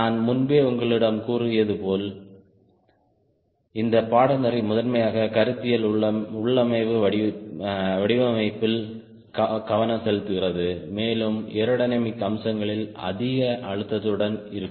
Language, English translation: Tamil, as i have told you earlier, this course will focus primarily on the conceptual configuration design, with more stress on the aerodynamic aspects